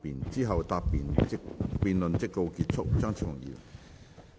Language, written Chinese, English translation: Cantonese, 之後辯論即告結束。, The debate will come to a close after he has replied